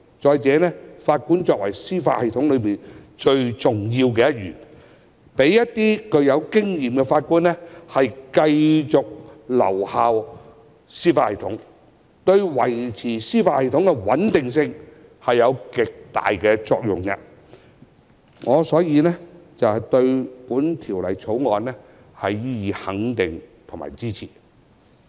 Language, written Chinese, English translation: Cantonese, 再者，法官為司法系統內最重要一員，讓一些具有經驗的法官繼續留效司法系統，對維持司法系統的穩定性有極大的作用，所以我對《條例草案》予以肯定及支持。, Moreover Judges form a crucial part of the judicial system . It is of tremendous significance to the stability of the judicial system to allow some experienced Judges to continue to serve therein . Therefore I extend my recognition and support to the Bill